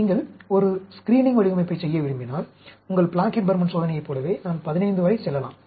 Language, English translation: Tamil, If you want to do a screening design, I can go up to 15, just like your Plackett Burman experiment, right, 15